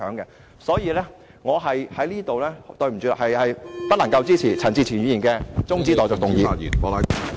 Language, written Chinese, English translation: Cantonese, 因此，抱歉，我不能支持......陳志全議員的中止待續議案。, Therefore I am sorry that I cannot support Mr CHAN Chi - chuens motion for adjournment